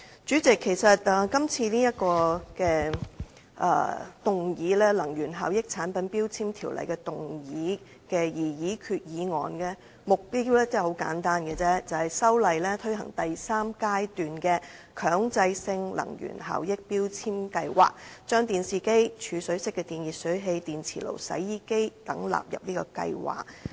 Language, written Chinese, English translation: Cantonese, 主席，這項根據《能源效益條例》動議的擬議決議案，目標十分簡單，就是藉修例推行第三階段強制性能源效益標籤計劃，把電視機、儲水式電熱水器、電磁爐、洗衣機等納入計劃。, President the objective of this proposed resolution under the Ordinance is simply to include televisions storage type electric water heaters induction cookers washing machines and so on in the third phase of the Mandatory Energy Efficiency Labelling Scheme MEELS